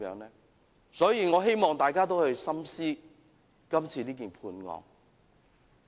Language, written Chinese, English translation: Cantonese, 因此，我希望大家深思今次的判決。, Hence I urge Members to think carefully about the Judgment this time around